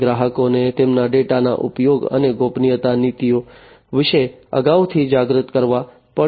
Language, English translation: Gujarati, And the customers will have to be made aware beforehand about the usage of their data and the privacy policies